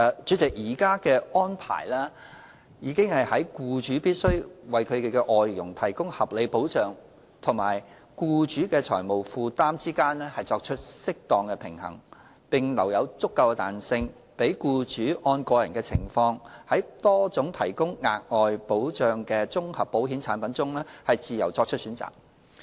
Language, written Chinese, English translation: Cantonese, 主席，現行的安排已在僱主必須為其外傭提供合理保障及僱主的財務負擔之間作出適當平衡，並留有足夠彈性，讓僱主按個人情況在多種提供額外保障的綜合保險產品中自由作出選擇。, President the existing arrangement has struck an appropriate balance between the requirement for employers to provide reasonable protection for their FDHs and the affordability of employers . There is also sufficient flexibility for employers to choose freely from various comprehensive insurance products providing additional coverage according to their own circumstances